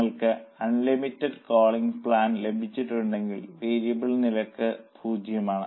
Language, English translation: Malayalam, Of course, if you have got unlimited calling plan, then variable cost is zero